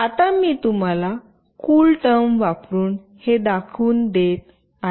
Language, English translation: Marathi, Now I will be showing you the demonstration of this using CoolTerm